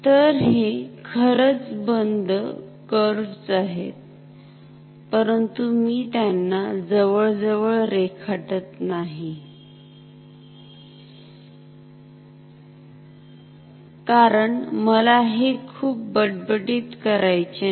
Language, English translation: Marathi, So, they are actually closed curves, but I am not drawing them as close, because I do not want to make it clumsy ok